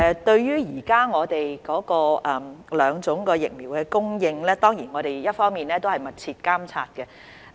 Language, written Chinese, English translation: Cantonese, 對於現時兩種疫苗的供應，我們當然會密切監察。, As regards the current supply of the two vaccines we will certainly monitor the situation closely